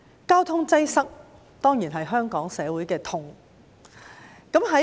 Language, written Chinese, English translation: Cantonese, 交通擠塞當然是香港社會的痛。, Traffic congestion is of course an agony in Hong Kong society